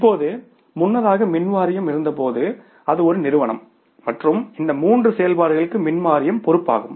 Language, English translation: Tamil, Now earlier when the power board was there that was a single entity and power board was responsible for all these three operations